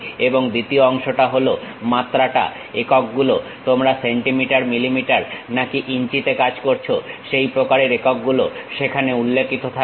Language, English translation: Bengali, And the second part is the dimension, the units whether you are working on centimeters, millimeters, inches that kind of units will be mentioned there